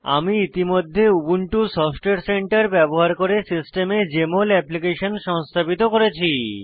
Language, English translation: Bengali, I have already installed Jmol Application on my system using Ubuntu Software Center